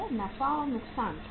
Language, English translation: Hindi, Profit and loss account